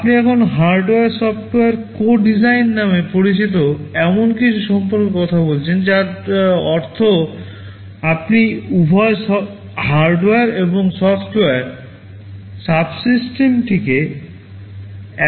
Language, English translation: Bengali, You talk now about something called hardware software co design, meaning you are designing both hardware and software subsystems together